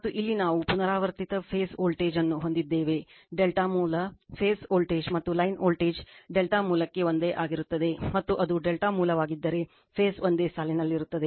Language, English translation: Kannada, And here we have repeat phase voltage your what you call for delta source, phase voltage and line voltage remain same for delta source and in if it is a delta source is phase are lined same